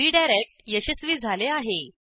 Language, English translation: Marathi, So our redirect was successful